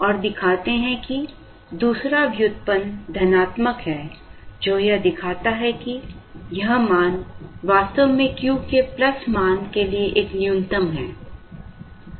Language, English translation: Hindi, And show that, the second derivative is positive indicating that, this value is indeed a minimum for the plus value of Q